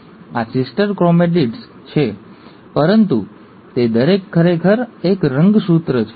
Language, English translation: Gujarati, These are sister chromatids, but each one of them is actually a chromosome